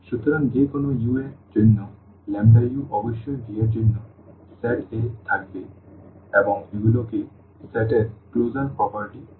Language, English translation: Bengali, So, for any u, the lambda u must also be there in the set for V and these are called the closure properties of the set